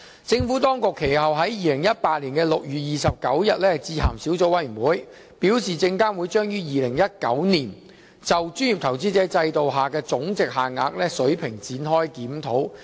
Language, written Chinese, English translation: Cantonese, 政府當局其後於2018年6月29日致函小組委員會，表示證監會將於2019年就專業投資者制度下的總值限額水平展開檢討。, The Administration wrote to the Subcommittee subsequently on 29 June 2018 advising that SFC would review the levels of monetary threshold under the professional investor regime in 2019